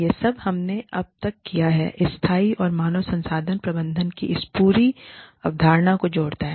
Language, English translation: Hindi, All that, we have done till now, adds up to this whole concept of, sustainable human resources management